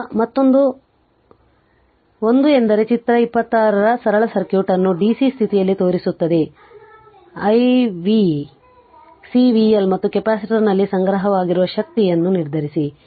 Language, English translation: Kannada, Now, another 1 is that figure 26 shows the simple circuit under dc condition, determine i v C v L and the energy stored in the what you call in the capacitor